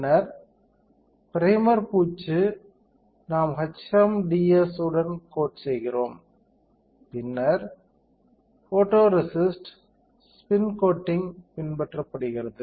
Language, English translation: Tamil, Then primer coating we do we coat with HMDS, and then are followed by photoresist spin coating